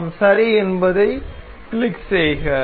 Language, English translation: Tamil, We will click on ok